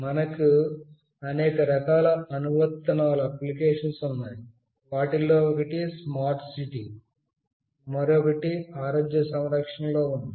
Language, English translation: Telugu, There is a wide variety of applications that we can have, one of which is smart city, another is in healthcare